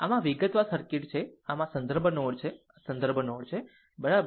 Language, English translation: Gujarati, So, this is the detail circuit so, this is your ah this is your reference node, this is your reference node, right